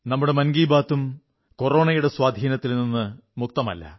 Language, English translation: Malayalam, Our Mann ki Baat too has not remained untouched by the effect of Corona